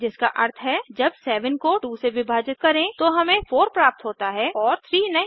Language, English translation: Hindi, When 7 is divided by 2, we get 3